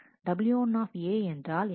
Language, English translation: Tamil, So, what is w 1 A